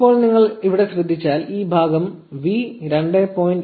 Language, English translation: Malayalam, Now if you notice here this part says v 2